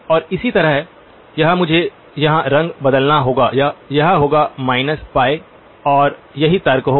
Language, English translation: Hindi, And similarly this this would be to I have to change colors here, this would be pi, this would be minus pi and that will be the argument